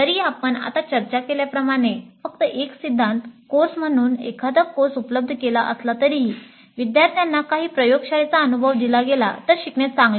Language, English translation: Marathi, And even if a course is offered only as a theory course as just now we discussed, learning may be better if some kind of laboratory experience is provided to the students